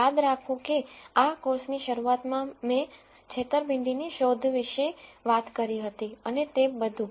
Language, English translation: Gujarati, Remember at the beginning of this course I talked about fraud detection and so on